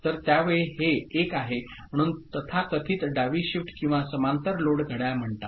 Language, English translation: Marathi, So, at that time, this is 1 so this so called left shift or parallel load clock